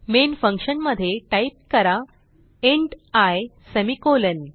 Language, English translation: Marathi, So Inside the main function, type int i semicolon